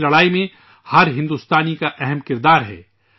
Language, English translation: Urdu, Every Indian has an important role in this fight